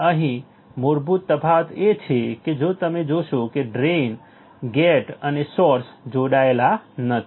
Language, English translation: Gujarati, Now the basic difference here is that if you see, the drain gate n source these are not connected